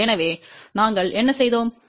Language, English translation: Tamil, So, what we did, from 0